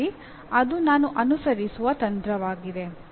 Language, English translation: Kannada, So that is a strategy that I follow